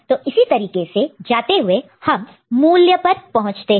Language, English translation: Hindi, So, this way it continuous and we arrive at the value by this manner